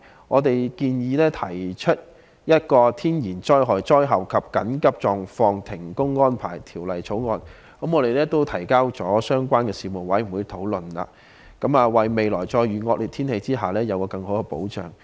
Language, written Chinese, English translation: Cantonese, 我們建議制訂《天然災害及災後停工安排條例草案》，並已提交相關的事務委員會討論，為未來再遇惡劣天氣時，給予僱員更好的保障。, In order to provide employees with better protection under inclement weather conditions in the future we have proposed formulating a bill on arrangements for work suspension during and after natural disasters which has already been submitted to the relevant Panel for discussion